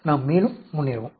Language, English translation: Tamil, Let us go forward further